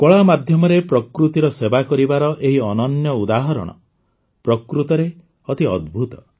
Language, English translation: Odia, This example of serving nature through art is really amazing